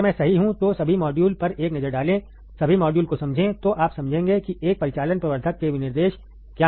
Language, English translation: Hindi, If I am correct then take a look at all the modules, understand all the modules, then you will understand what are the specifications of an operational amplifier, alright